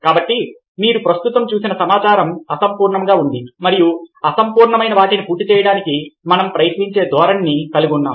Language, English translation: Telugu, so the data you saw right now was incomplete, ok, and we have a tendency to try to complete what is in complete